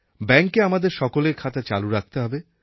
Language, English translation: Bengali, All of our accounts should be kept active